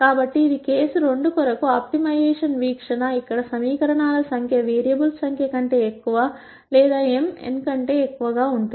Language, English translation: Telugu, So, this is an optimization view for case 2, where the number of equations are more than the number of variables or m is greater than n